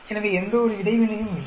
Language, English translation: Tamil, So, there is no interaction